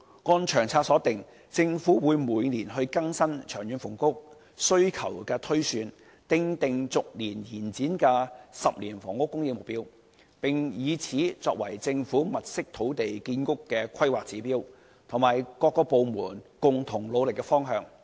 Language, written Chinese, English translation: Cantonese, 按《長策》所訂，政府會每年更新長遠房屋需求推算，訂定逐年推展的10年房屋供應目標，並以此作為政府物色土地建屋的規劃指標，以及各部門共同努力的方向。, According to LTHS the Government is going to update the long - term housing demand projection every year presents a rolling 10 - year housing supply target which serves as a planning benchmark for the Governments identification of housing sites and as a common goal of the various departments